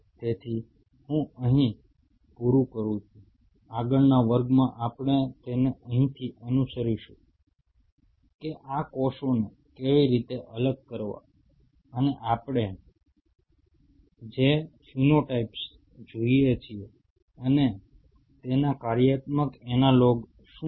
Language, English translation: Gujarati, So, I will close in here in the next class we will follow it up from here that how to isolate these cells and what are the phenotypes we see and what are the functional analogues of it